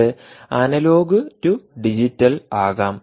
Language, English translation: Malayalam, it can also be analog to digital